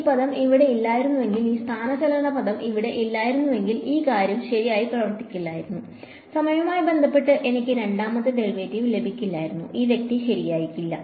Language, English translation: Malayalam, And if you notice if this term over here if this displacement term were not here this thing would not have worked right, I would not have been able to get the second derivative with respect to time, this guy would not have happened right